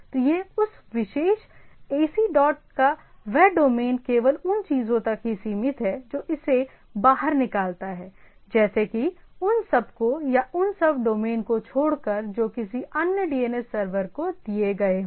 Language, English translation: Hindi, So, that domain of that particular ac dot in is restricted to the things, which excludes it is like minus those or excluding those sub domain delegated to other DNS server if at all